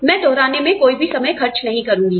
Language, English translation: Hindi, I will not be spending any time on revising